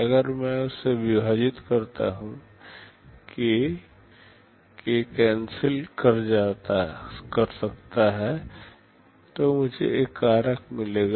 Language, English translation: Hindi, If I divided by that, k, k can cancels out, so I get a factor